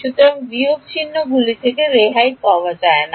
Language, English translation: Bengali, So, there is no escaping the minus signs